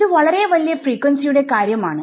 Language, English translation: Malayalam, Then what happens at extremely large frequencies